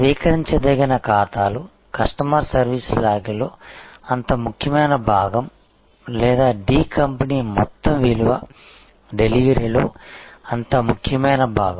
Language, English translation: Telugu, The accounts receivable is such an important part or the customer service log or is such an important part of the overall value delivery of D company